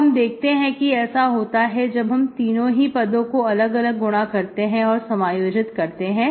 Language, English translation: Hindi, This is what happens if you multiply this with each of these 3 terms and integrate